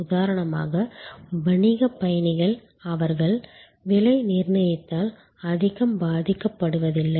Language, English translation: Tamil, So, business travelers for example, they are not so much affected by pricing